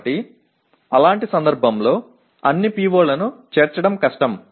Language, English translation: Telugu, So in such a case it is difficult to include all the POs